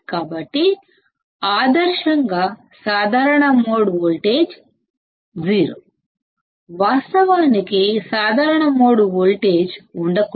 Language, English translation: Telugu, So, ideally common mode voltage is 0; ideally common mode voltage should not be there